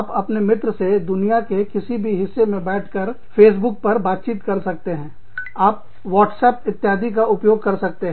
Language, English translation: Hindi, You chat with your friends, sitting in any part of the world, over Facebook, you use WhatsApp, etcetera